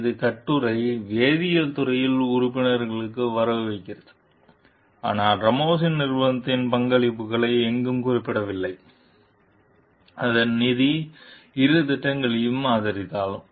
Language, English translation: Tamil, The paper credits the members of the chemistry department, but nowhere mentions the contributions of Ramos s company, even though its funds supported both projects